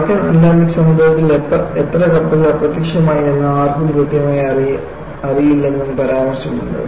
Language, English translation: Malayalam, And it is also mentioned that, no one know exactly how many ships just disappeared in North Atlantic